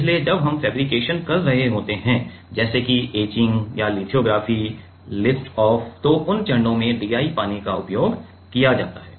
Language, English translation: Hindi, So, while we are doing fabrications let us say etching or lithography lift off so, in those steps DI water is used